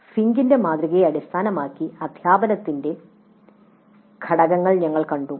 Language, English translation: Malayalam, We saw the components of teaching based on Fink's model